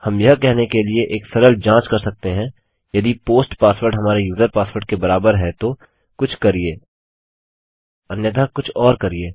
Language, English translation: Hindi, We can do a simple check to say if the post password is equal to our user password then do something otherwise do something else